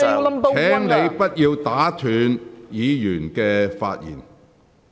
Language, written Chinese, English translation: Cantonese, 區諾軒議員，請不要打斷議員的發言。, Mr AU Nok - hin please do not interrupt the Members speech